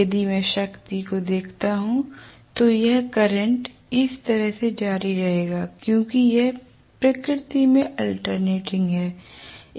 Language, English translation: Hindi, So If I look at the power I am going to have actually this current will continue like this right because it is alternating in nature